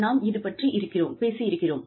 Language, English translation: Tamil, We have talked about this